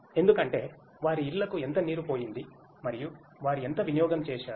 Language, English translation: Telugu, Because how much water has been passed to their homes and what consumption they have made